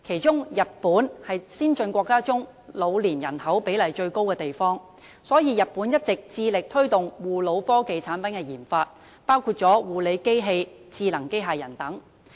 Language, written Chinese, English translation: Cantonese, 在先進國家中，日本的老年人口比例最高，所以日本一直致力推動護老科技產品的研發，包括護理機器和智能機械人等。, Among the advanced countries the proportion of elderly population in Japan is the highest . For this reason Japan has all along been committed to promoting the research and development RD of gerontechnological products including nursing machines and artificial intelligence robots